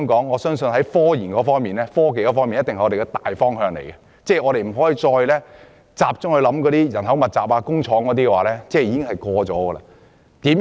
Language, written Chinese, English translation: Cantonese, 我相信發展科研定必是香港的大方向，我們不可再着眼於勞工密集的工業，因為已經過時。, I believe the broad direction for Hong Kongs development is to pursue scientific research; we should no longer focus on the outdated labour intensive industry